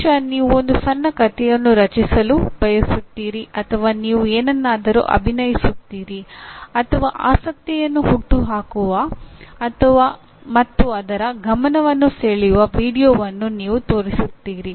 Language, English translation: Kannada, Maybe you want to create a small story or you enact something or you show a video that arouses the interest and to get the attention of that